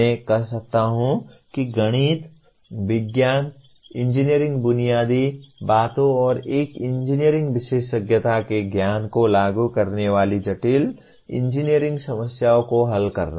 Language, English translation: Hindi, The statement says apply the knowledge of mathematics, science, engineering fundamentals and an engineering specialization to the solution of complex engineering problems